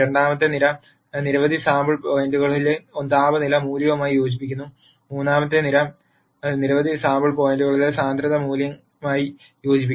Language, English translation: Malayalam, The second column corresponds to the value of temperature at several sample points and the third column corresponds to the value of density at several sample points